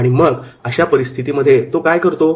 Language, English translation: Marathi, So what you will do in such cases